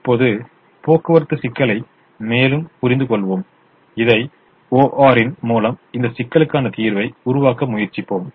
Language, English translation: Tamil, now let's understand the transportation problem further and let's try to formulate this as an o